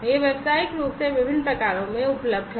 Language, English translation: Hindi, It is available commercially in different variants